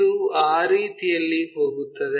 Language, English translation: Kannada, So, it goes in that way